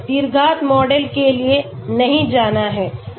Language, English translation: Hindi, Do not have to go for a quadratic model